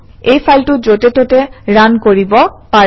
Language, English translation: Assamese, This file can run anywhere